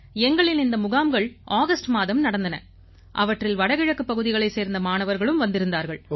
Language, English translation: Tamil, This camp was held in August and had children from the North Eastern Region, NER too